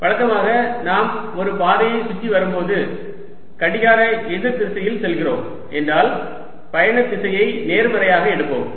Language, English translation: Tamil, and usually when we do this going around a path, we take travelling direction to be positive if you are going counter clockwise